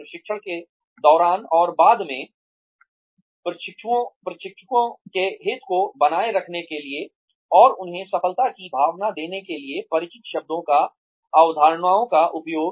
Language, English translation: Hindi, Use of familiar terms and concepts, to sustain the interest of trainees, and to give them, a feeling of success, during and after training